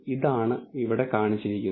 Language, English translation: Malayalam, This is what is displayed